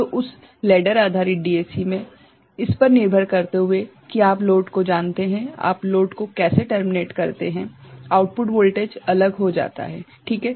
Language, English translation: Hindi, So, in that ladder based DAC, depending on how you terminate what is the you know the load, the output voltage becomes different is not it